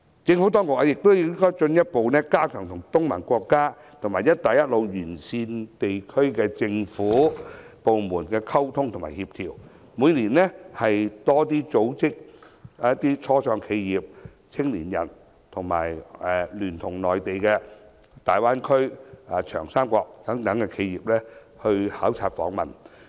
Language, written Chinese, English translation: Cantonese, 政府當局亦應進一步加強與東盟國家和"一帶一路"沿線地區的政府部門的溝通及協調，每年多組織初創企業、青年人及聯同內地大灣區及長三角等地企業考察訪問。, In addition the Government should further strengthen its communication and coordination with the authorities of the member states of the Association of Southeast Asian Nations ASEAN and the Belt and Road countries as well as organizing more study visits every year for our start - up enterprises and young people to meet with Mainlands enterprises in the Greater Bay Area the Yangtze River Delta and so on